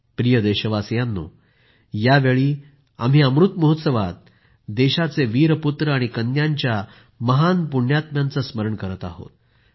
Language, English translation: Marathi, during this period of Amrit Mahotsav, we are remembering the brave sons and daughters of the country, those great and virtuous souls